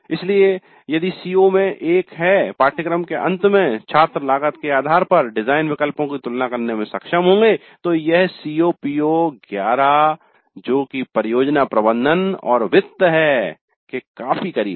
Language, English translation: Hindi, So if one of the COs is at the end of the course students will be able to compare design alternatives based on cost, then this COE is quite close to PO 11, project management and finance